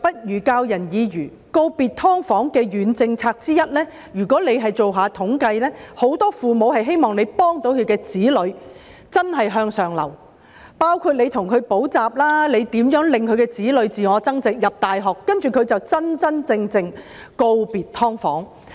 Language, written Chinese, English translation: Cantonese, 說到告別"劏房"的軟政策之一，如果政府進行統計，便可知道很多父母希望政府協助他們的子女真正向上流，包括為他們提供補習服務、協助他們自我增值以進入大學，讓他們將來可真真正正地告別"劏房"。, With regard to one of the soft measures on bidding farewell to subdivided units if the Government bothers to carry out a statistical survey it will notice that most parents wish that the Government can help their children move upward genuinely by inter alia providing them with tuition services so that they may achieve self - enhancement enter universities and eventually move out of subdivided units in the future